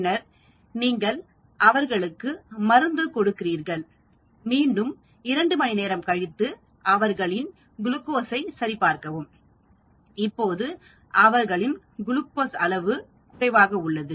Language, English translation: Tamil, Then you give the drug to them and again after 2 hours you check their glucose levels